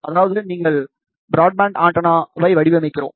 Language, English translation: Tamil, In the sense, we are designing a very broadband antenna